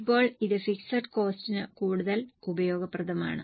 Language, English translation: Malayalam, Now, this is more useful for fixed costs